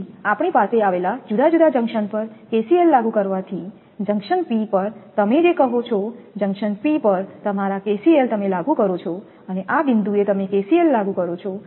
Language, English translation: Gujarati, So, applying KCL to different junction we have at junction P, you apply your what you call that your KCL at junction P at this point you apply KCL